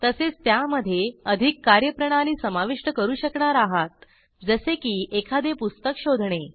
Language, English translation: Marathi, You will also be able to add more functionalities to it, like searching for a book